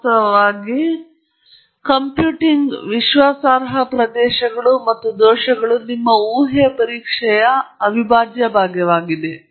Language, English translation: Kannada, In fact, computing confidence regions and errors are an integral part of your hypothesis test